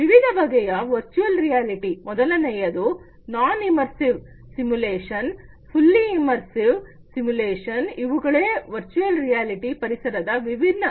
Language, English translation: Kannada, Different types of virtual reality; one is non immersive simulation, semi immersive simulation, fully immersive simulation these are different types of virtual reality environments